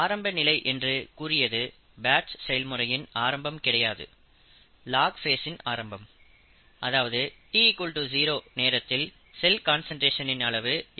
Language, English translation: Tamil, It is not the beginning of the batch, it is a beginning of the log phase, time t0, and the cell concentration is x0 at that time